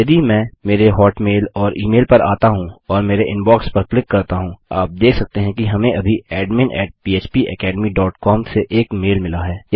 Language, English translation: Hindi, If I come into my hotmail or my email and click on my INBOX, you can see that weve now got a mail from admin @ phpacademy dot com